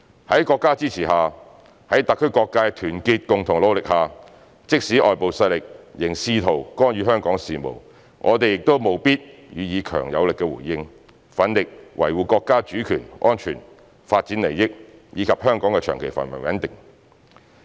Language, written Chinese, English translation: Cantonese, 在國家支持下，在特區各界的團結共同努力下，即使外部勢力仍試圖干預香港事務，我們亦務必予以強而有力的回應，奮力維護國家主權、安全、發展利益，以及香港的長期繁榮穩定。, Even though foreign forces are still attempting to interfere with the affairs of Hong Kong with our countrys support and the concerted efforts of all sectors in HKSAR we must give strong and powerful response and go all out to safeguard the sovereignty security and development interests of our country and the long - term prosperity and stability of Hong Kong